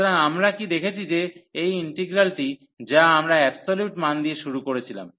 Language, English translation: Bengali, So, what we have seen that this integral, which we have started with the absolute value